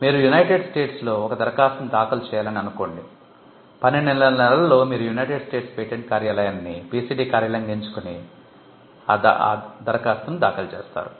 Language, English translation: Telugu, Assume that you have to file an application in the United States, and within 12 months you file a PCT application choosing United States patent office as the PCT office